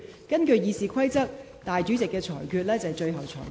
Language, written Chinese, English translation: Cantonese, 根據《議事規則》，主席決定為最終決定。, In accordance with the Rules of Procedure the decision of the President is final